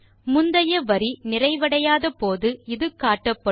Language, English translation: Tamil, It appears when, the previous line is incomplete